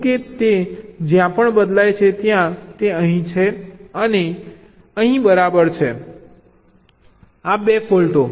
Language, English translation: Gujarati, so look at g one, c, wherever it changes to one, it is here and here, right, these two faults